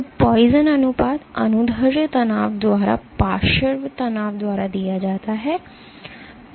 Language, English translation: Hindi, So, poison ratio is given by lateral strain by longitudinal strain